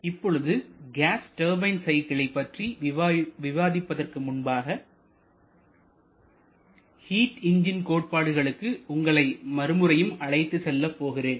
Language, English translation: Tamil, Now before we start the discussion on gas turbine cycles, I would like to take you back to the concept of heat engines